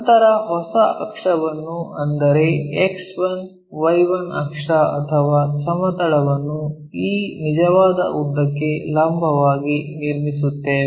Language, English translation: Kannada, Then, we will construct a new axis a new X 1, Y 1 axis or plane perpendicular to this true line, true length